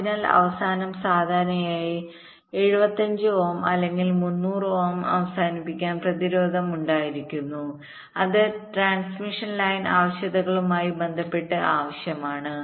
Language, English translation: Malayalam, so at the end there was typically a seventy five ohm or three hundred ohm termination resistance which was connected